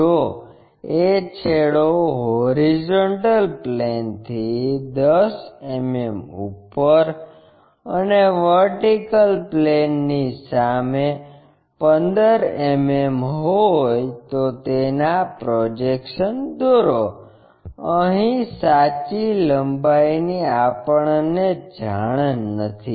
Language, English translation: Gujarati, If, end A is 10 mm above hp and 15 mm in front of VP, draw it is projections unknown is true length